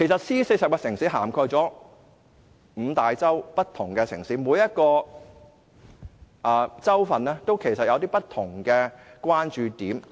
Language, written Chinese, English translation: Cantonese, C40 涵蓋五大洲不同城市，每個洲都有不同的關注點。, C40 includes different cities on five continents and each continent has a different focus of attention